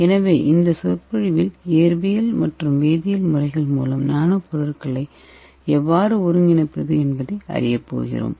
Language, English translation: Tamil, So in this lecture we are going to learn how to synthesize nanomaterials by physical methods and chemical methods